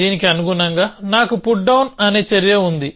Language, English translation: Telugu, So, corresponding to this, I have an action called put down